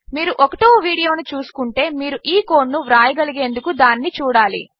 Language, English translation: Telugu, If you have not watched the 1st video you need to do so, to be able to write this code out